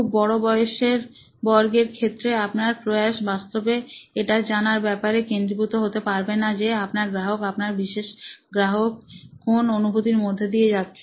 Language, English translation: Bengali, Having a large age group actually does not focus your efforts on finding out what the experience that your customer your typical customer is going through